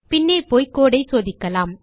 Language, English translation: Tamil, Lets go back and check the code